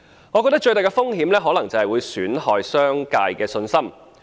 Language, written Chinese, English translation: Cantonese, 我覺得最大的風險可能是損害商界的信心。, I think the biggest risk probably lies in undermining the confidence of the business sector